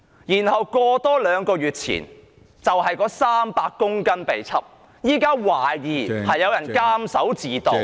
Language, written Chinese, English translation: Cantonese, 原來在兩個月前，有300公斤冰毒被檢獲，現在懷疑有人監守自盜......, It turns out that two months ago some 300 kg of ice were seized and someone is now suspected of stealing what was entrusted to his care